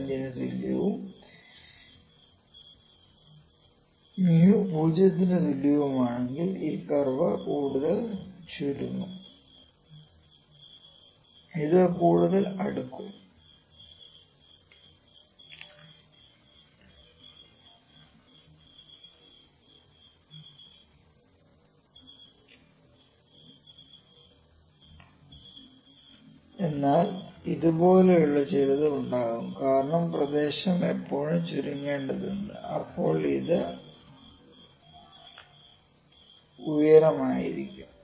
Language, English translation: Malayalam, 25 and mu is equal to 0 this curve would be further shrinked, it will further more closer but will have some like this because the area has always to be shrinked but it will be lengthier now, it could be sorry taller now